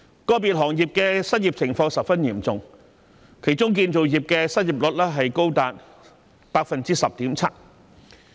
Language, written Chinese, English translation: Cantonese, 個別行業的失業情況十分嚴重，當中建造業的失業率便高達 10.7%。, The unemployment situation was grave in individual industries with the unemployment rate of the construction industry reaching 10.7 %